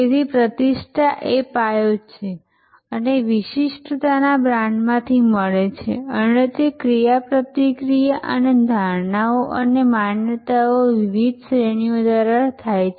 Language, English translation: Gujarati, So, reputation is the foundation and differentiation is the deliverable from brand and that happens through various categories of interactions and perceptions and believes